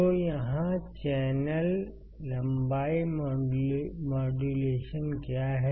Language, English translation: Hindi, So,, let us see what is channel length modulation